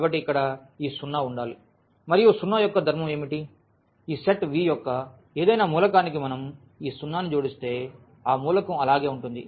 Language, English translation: Telugu, So, here this 0 must be there and what is the property of 0, that if we add this 0 to any element of this set V then that element will remain as it is